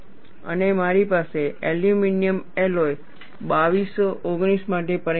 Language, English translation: Gujarati, And people have got this, and I have a result for aluminum alloy 2219